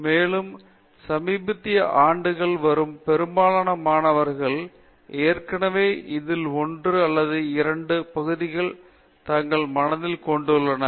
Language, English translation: Tamil, And, most of the students in the recent years who come, they already have one or these, one or the other of these areas in their mind